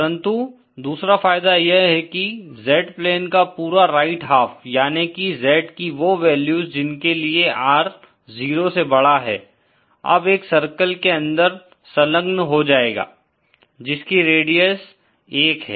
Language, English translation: Hindi, But another advantage is that the entire rights half of the Z plane, that is those values of Z for which r greater than 0 is now enclosed within this circle having radius 1